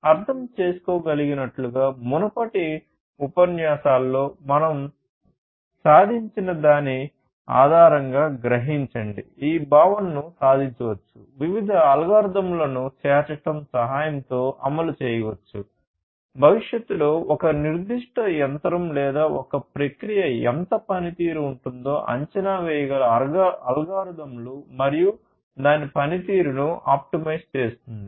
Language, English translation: Telugu, So, as you can understand, as you can realize based on whatever we have gone through in the previous lectures, this concept can be achieved it can be implemented with the help of incorporation of different algorithms; algorithms that can estimate how much the performance is going to be of a particular machine or a process in the future and then optimizing its performance